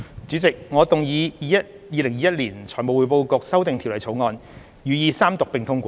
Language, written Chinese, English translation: Cantonese, 主席，我動議《2021年財務匯報局條例草案》予以三讀並通過。, President I move that the Financial Reporting Council Amendment Bill 2021 be read the Third time and do pass